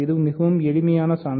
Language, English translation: Tamil, So, this is a very easy proof